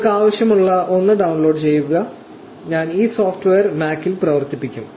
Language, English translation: Malayalam, Just download the one that you need, I will be running this software on Mac